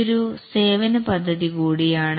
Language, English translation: Malayalam, This is also a type of software service